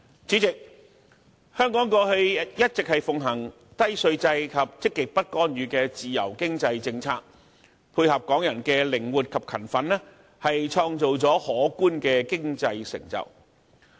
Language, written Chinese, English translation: Cantonese, 主席，香港過去一直奉行低稅制及積極不干預的自由經濟政策，配合港人的靈活、勤奮，創造了可觀的經濟成就。, President Hong Kong has always upheld a low tax regime and a positive non - interventionism free economic policy . Under such a background and coupled with Hong Kong peoples flexibility and industriousness Hong Kong has attained remarkable economic achievements